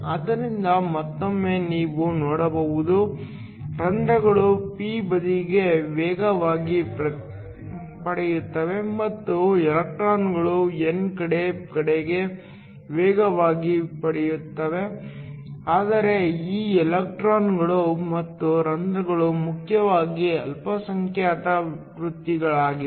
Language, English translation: Kannada, So, Once again you can see; that the holes will get accelerated towards the p side and the electrons get accelerated towards the n side, but these electrons and holes are essentially minority careers